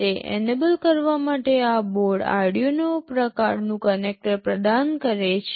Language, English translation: Gujarati, In order to enable that this board provides an Arduino kind of connector